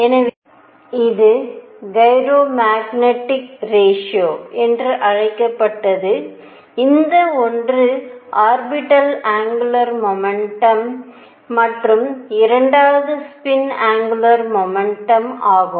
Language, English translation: Tamil, So, this was called the gyro magnetic ratio which is one for orbital angular momentum and 2 for a spin angular momentum